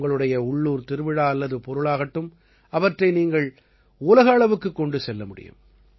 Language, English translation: Tamil, Be it your local festivals or products, you can make them global through them as well